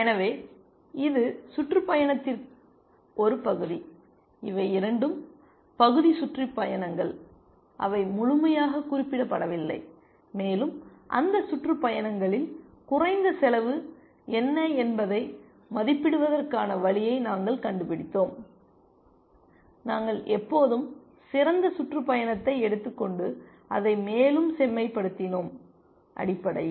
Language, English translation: Tamil, So, this was a partial tour, both these are partial tours, they are not fully specified and we had figured out a way to evaluate what is the lower bound cost on those tours, and we always picked up best looking tour and refined it further essentially